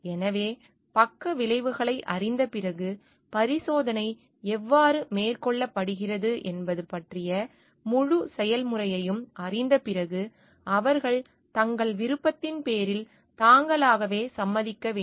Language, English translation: Tamil, So, it is like after knowing the side effects, after knowing maybe the whole process of how the experiment is carried out, they should be consenting on their own on their free will